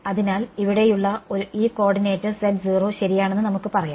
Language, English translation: Malayalam, So, we can say that this coordinate over here is z naught ok